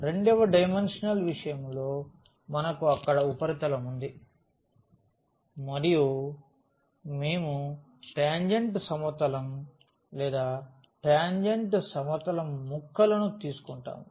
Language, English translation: Telugu, In case of the 2 dimensional so, we have the surface there and we will take the tangent plane or the pieces of the tangent plane